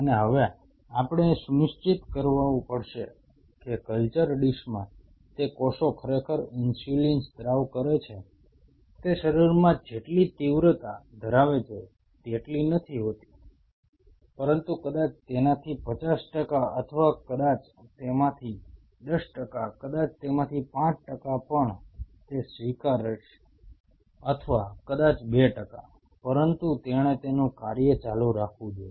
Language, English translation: Gujarati, And now we have to ensure that those cells in the culture dish indeed secrete insulin may not be with the same intensity with which it does in the body, but maybe fifty percent of that or maybe 10 percent of that maybe even 5 percent of that I will accept it or maybe even 2 percent of that, but it has to continue with that function